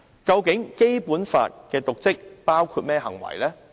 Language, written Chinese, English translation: Cantonese, 究竟《基本法》訂明的"瀆職"包括甚麼行為？, What acts would constitute dereliction of duty as prescribed under the Basic Law?